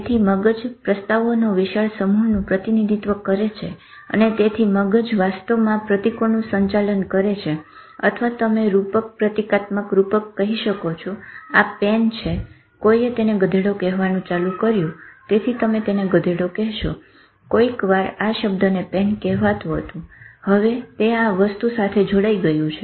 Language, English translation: Gujarati, And so brain is actually if you are, it is handling symbols or you can call a metaphor about metaphor symbolic processing this is a pen somebody would have started calling it a donkey so you would have been calling it a donkey sometimes this word called pen has got associated with this thing so this is this is the type of thing